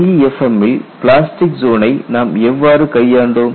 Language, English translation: Tamil, How did we handle plastic zone in LEFM